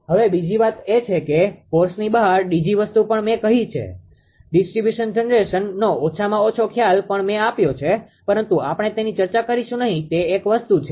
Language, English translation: Gujarati, Now, another thing is although beyond the scores that DG thing also I have told, distribution generation at least the concept I have told, but we will not discuss that this is one thing